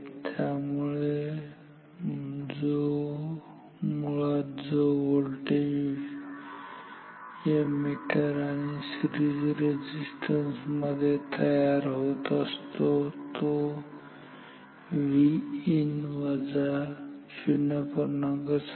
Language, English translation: Marathi, So, basically the voltage that appears say across this meter and the series resistance is V in minus this 0